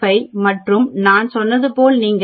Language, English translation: Tamil, 645 and as I said if you look at 0